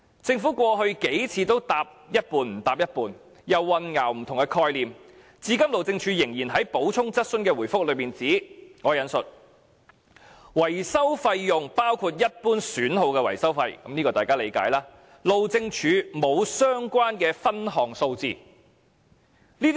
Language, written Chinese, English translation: Cantonese, 政府過去數次的答覆，都是含糊其詞，又混淆不同的概念，至今路政署仍然在補充質詢的答覆中指出，維修費用包括一般損耗的維修費，路政署沒有相關分項數字。, The several replies from the Government were all ambiguous and had mixed up different concepts and until now the Highways Department still said in its reply to my supplementary question that the maintenance cost includes the cost of repairing ordinary wear and tear and that the Highways Department does not have a breakdown of the relevant data